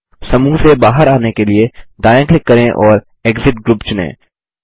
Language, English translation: Hindi, To exit the group, right click and select Exit Group